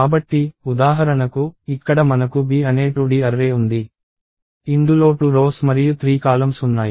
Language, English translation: Telugu, So, for example, here we have a 2D array called B, which has 2 rows and 3 columns